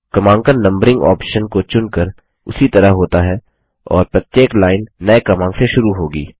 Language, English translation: Hindi, Numbering is done in the same way, by selecting the numbering option and every line will start with a new number